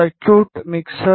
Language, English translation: Tamil, The circuit is mixer